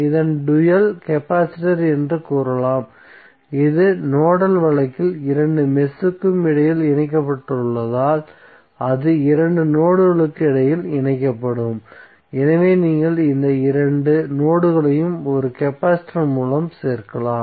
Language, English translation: Tamil, The dual of this is the capacitance so what you can write here you can say that dual of this is capacitor so since it is connected between two mesh in the nodal case it will be connected between two nodes, so you can simply add this two nodes through one capacitor